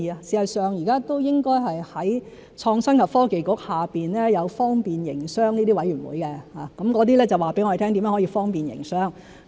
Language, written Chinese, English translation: Cantonese, 事實上，現時都應該是在創新及科技局下有方便營商諮詢委員會，告訴我們怎樣去方便營商。, As a matter of fact currently it should be the Business Facilitation Advisory Committee under the Innovation and Technology Bureau which tells us how to facilitate business